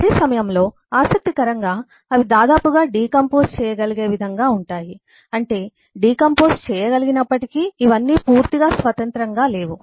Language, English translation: Telugu, at the same time, interestingly, they are nearly decomposable in the sense that while we say that these are all decomposable, but they are not completely independent